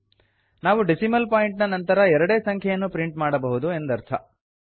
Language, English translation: Kannada, It denotes that we can print only two values after the decimal point